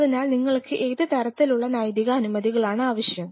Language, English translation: Malayalam, So, what sort of ethical clearances you will be needing